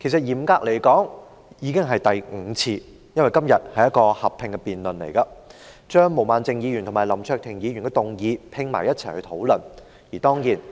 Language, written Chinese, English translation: Cantonese, 嚴格來說，其實已經是第五次，因為今天進行合併辯論，一併討論毛孟靜議員和林卓廷議員的議案。, Strictly speaking it is actually the fifth time because a joint debate is being conducted today on the motions proposed by Ms Claudia MO and Mr LAM Cheuk - ting